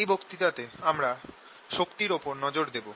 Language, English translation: Bengali, in this lecture i want to focus on the energy